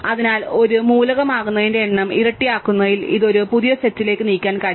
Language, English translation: Malayalam, So, because we have this doubling the number of times that is set can be an element can move it to a new set